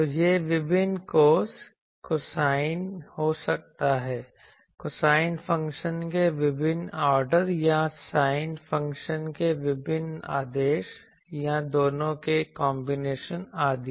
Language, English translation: Hindi, So, it can be various cos cosine various orders of cosine functions or various orders of sin function or combination of both etc